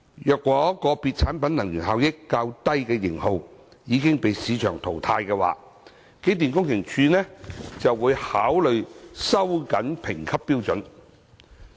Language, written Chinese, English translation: Cantonese, 若個別產品能源效益較低的型號已被市場淘汰，機電工程署會考慮收緊評級標準。, If the less energy - efficient models of a prescribed product have been phased out by market forces EMSD will consider tightening the grading standard